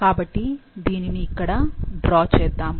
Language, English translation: Telugu, So, let's draw it here